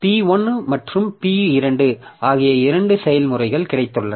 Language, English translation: Tamil, So, this P2, P3, these processes are there